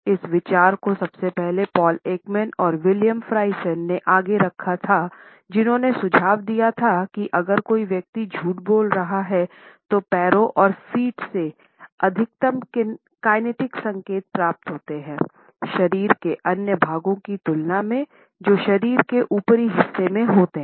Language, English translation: Hindi, This idea first of all was put forward by Paul Ekman and William Friesen who suggested that if a person is lying, then the maximum kinetic signals are received from the legs and feet; in comparison to other body parts which are in the upper portion of the body